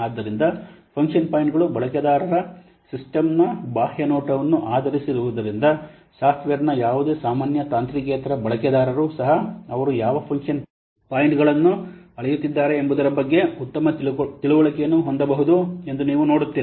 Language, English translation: Kannada, So, since function points are based on the user's external view of the system, you will see that even if any lame and non technical users of the software, they can also have better understanding of what function points are measuring